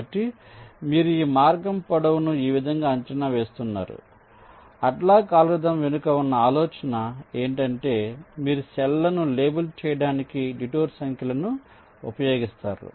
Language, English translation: Telugu, ok, so this is how you are estimating the length of the path and the idea behind hadlock algorithm is that you use the detour numbers to label the cells